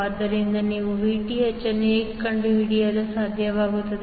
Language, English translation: Kannada, So, how will you able to find out the Vth